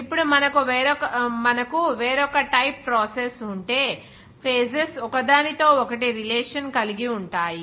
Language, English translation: Telugu, Now, if we have another type of process, like where the phases will become in contact with each other